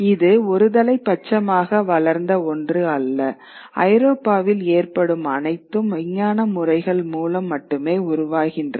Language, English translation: Tamil, It wasn't something that developed unidirectionally that everything now henceforth in Europe develops only through the scientific methods